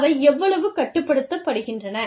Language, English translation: Tamil, How much, do they control